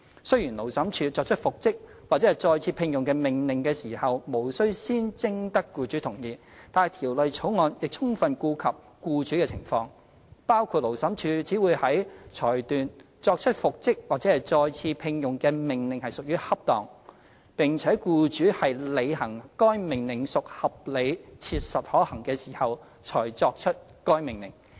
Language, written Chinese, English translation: Cantonese, 雖然勞審處作出復職或再次聘用的命令時，無須先徵得僱主同意，但《條例草案》亦充分顧及僱主的情況，包括勞審處只會在裁斷作出復職或再次聘用的命令屬於恰當，並且僱主履行該命令屬合理切實可行時，才可作出該命令。, Although the Labour Tribunal is not required to secure the consent of the employer before making an order for reinstatement or re - engagement the Bill has adequately considered the circumstances of the employer . For example the Labour Tribunal will only make an order for reinstatement or re - engagement if it finds that making such an order is appropriate and compliance with it by the employer is reasonably practicable